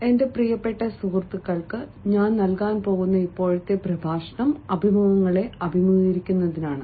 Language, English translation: Malayalam, the present lecture that i am going to deliver, my dear friends, is all about facing the interviews